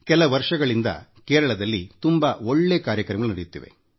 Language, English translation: Kannada, A very good programme is being run in Kerala for the past few years, by the P